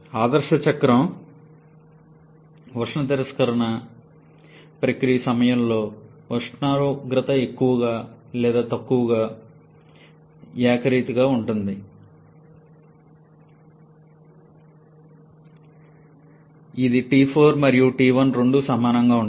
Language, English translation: Telugu, Whereas during the heat rejection process in ideal cycle the temperature remains more or less uniform which is T4 and or T1 both of them are equal